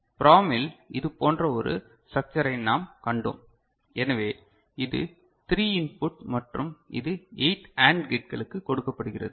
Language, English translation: Tamil, So, in the PROM we had seen a structure like this, so this is the 3 input and which is fed to 8 AND gates